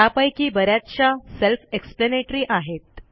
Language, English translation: Marathi, Most of them are self explanatory